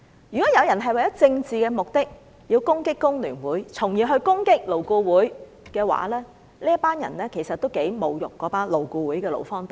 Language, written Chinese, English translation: Cantonese, 如果有人為了政治目的而攻擊工聯會，再從而攻擊勞顧會的話，這些人其實是侮辱了勞顧會的勞方代表。, When people seek to achieve their political purposes by attacking FTU and then LAB they are actually throwing insults at the employee representatives at LAB